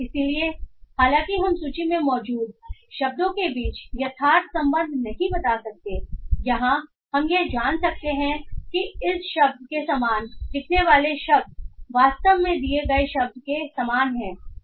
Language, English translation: Hindi, So though we cannot tell the exact relation between the words that is in the list, what we can find is that the words that appear similar to these words are in reality similar to the given word